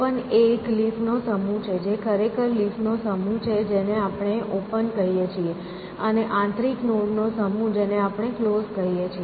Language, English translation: Gujarati, Open is the set of leaves actually the set of leaves we call as open, and the set of internal nodes we call as closed